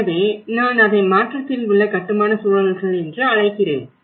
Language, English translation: Tamil, So that is where I call it as built environments in transition